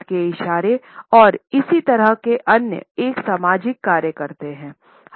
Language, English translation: Hindi, These hand movements as well as similar other perform a social function